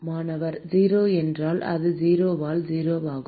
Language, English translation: Tamil, 0 so it is 0 by 0